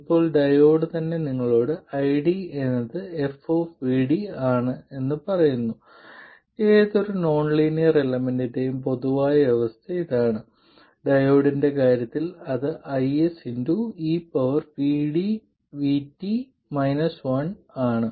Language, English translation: Malayalam, Now, the diode itself tells you that ID is F of VD, this is the general case for any nonlinear element and in case of the diode it is i